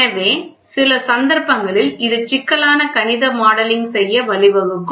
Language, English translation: Tamil, So, in some cases it may lead to complicated mathematical modelling